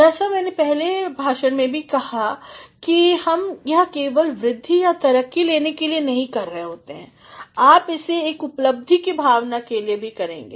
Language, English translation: Hindi, As I said in the previous lecture are we doing it simply for getting a hike or a promotion no, you are also going to do it for a sense of achievement